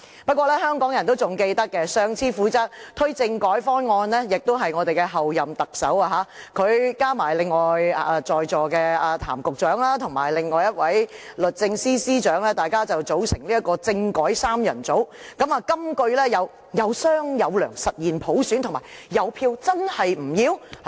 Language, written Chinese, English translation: Cantonese, 不過，香港人仍記得，上次負責推動政改方案的官員也是候任特首，她加上另外在席的譚局長和律政司司長，大家組成政改三人組，金句有："有商有量，實現普選"和"有票，真是不要？, Nevertheless Hong Kong people can still recall that it was also the Chief Executive - elect who was responsible for the promotion of the latest constitutional reform proposals . She together with Secretary Raymond TAM present today and the Secretary for Justice formed the constitutional reform trio . The mottos include Lets talk and achieve universal suffrage and Your Vote